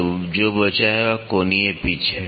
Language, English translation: Hindi, So, what is left is the angular pitch